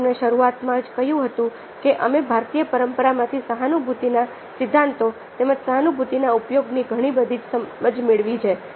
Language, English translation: Gujarati, i told you right at a beginning that we have derived a lot of insights into theories of empathy as well as application of empathy from indian tradition